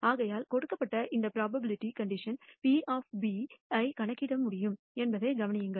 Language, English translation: Tamil, So, notice that I can compute this probability conditional probability of B given A